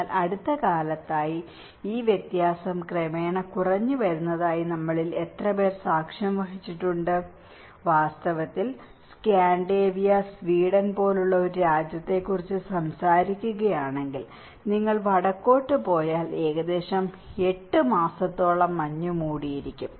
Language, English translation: Malayalam, But in the recent times, how many of us have witnessed that this variance has gradually coming down, in fact, if we talk about a country like Scandinavia and Sweden, if you go up north we have the snow cover for about 8 months in an year but now, it has gradually come to 6 months in a year